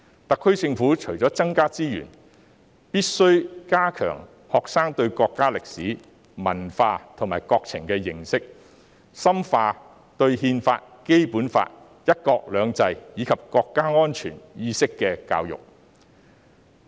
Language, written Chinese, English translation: Cantonese, 特區政府除增加資源外，亦必須加強學生對國家歷史、文化及國情的認識，深化對憲法、《基本法》、"一國兩制"，以及國家安全意識的教育。, Apart from increasing resources the SAR Government must reinforce students knowledge about the history culture and situation of the country and strengthen the education on the Constitution the Basic Law one country two systems and the awareness of national security